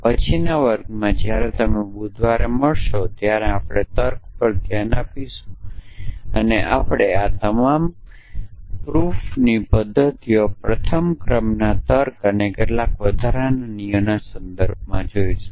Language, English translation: Gujarati, So, in the next class, when you meet on Wednesday we will look at of logic and we will look at all these proof methods in the context of first order logic plus some extra rules